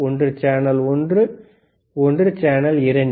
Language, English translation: Tamil, One is channel one, one is channel 2